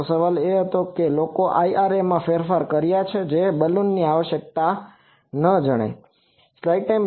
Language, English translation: Gujarati, So, the question was that people have modified the IRA, so that the Balun is not required